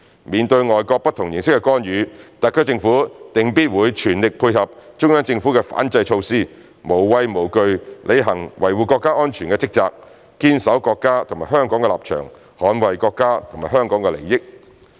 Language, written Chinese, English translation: Cantonese, 面對外國不同形式的干預，特區政府定必會全力配合中央政府的反制措施，無畏無懼履行維護國家安全的職責，堅守國家及香港的立場，捍衞國家及香港的利益。, Facing different forms of foreign intervention the SAR Government will surely make an all - out effort to tie in with the Central Governments counter - measures fearlessly perform its duty of safeguarding national security hold fast to the stances of our country and Hong Kong and defend the interests of both as well